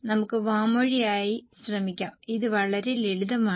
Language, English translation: Malayalam, Okay, let us try orally, it is very simple